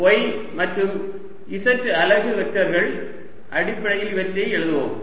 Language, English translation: Tamil, let us write them in terms of x, y in z unit vectors